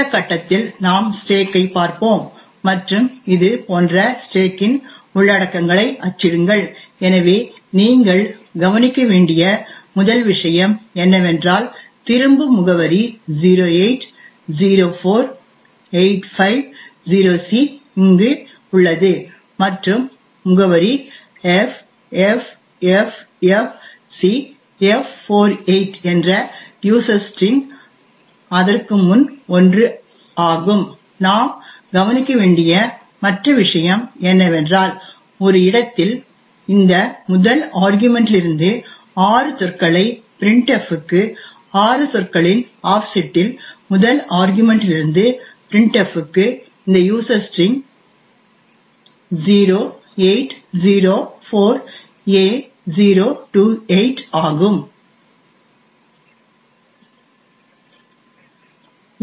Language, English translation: Tamil, At this point we will look at the stack and print the contents of some of the contents of the stack which would look something like this, so of the first thing you would note is that the return address 0804850C is present over here and the address of user string which is ffffcf48 is 1 before that ok and other thing we note is that at a location 6 words from this first argument to printf at an offset of 6 words from the first argument to printf is this user string 0804a028